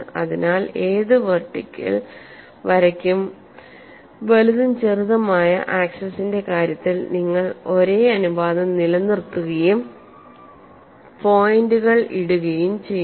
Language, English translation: Malayalam, So for any vertical line you maintain the same ratio in terms of major and minor axis and mark points